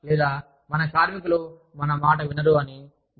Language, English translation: Telugu, Or, when we feel that, our workers, do not listen to us, that much